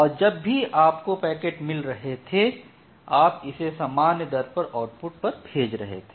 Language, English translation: Hindi, So, whatever packet you are getting here you are taking it output at a constant rate